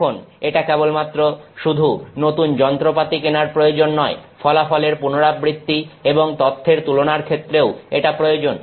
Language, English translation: Bengali, Now, it is not simply about the need to keep buying new instruments, it is also about repeatability of results, it is also about comparing data